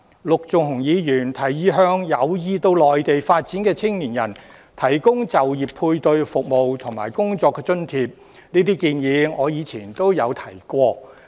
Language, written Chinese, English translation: Cantonese, 陸頌雄議員提議向有意到內地發展的青年人提供就業配對服務和工作津貼，這建議我以前也提過。, Mr LUK Chung - hung has proposed to provide job matching service and job allowance to young people who wish to seek development on the Mainland . I have previously made the same suggestion